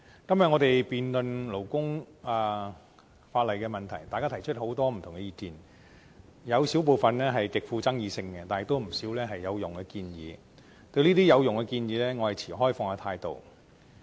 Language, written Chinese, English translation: Cantonese, 今天我們辯論有關勞工法例的問題，大家提出很多不同意見，有少部分極富爭議性，但亦有不少有用的建議，對於這些有用的建議，我持開放態度。, In todays debate on labour legislation Members have expressed many different views . A few of them were extremely controversial while some others were useful suggestions on which I remain open - minded